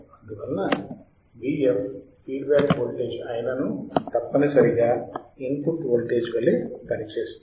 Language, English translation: Telugu, And hence V f that is feedback voltage must act as a input voltage